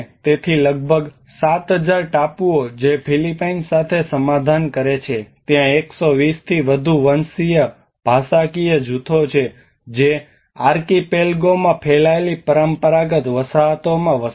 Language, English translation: Gujarati, So about 7,000 islands that compromise the Philippines there are over 120 ethnolinguistic groups that continue to inhabit traditional settlements spread out over the Archipelago